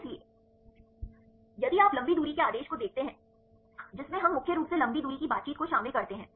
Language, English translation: Hindi, So, if you see the long range order which we involves mainly long range interactions right